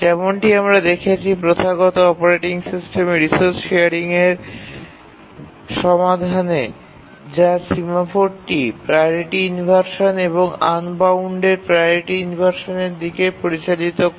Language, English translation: Bengali, And we have seen that the traditional operating system solution to resource sharing, which is the semaphores, leads to priority inversions and unbounded priority inversions